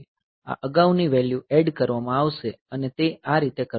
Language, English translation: Gujarati, So, this previous value will be added and it will be doing like this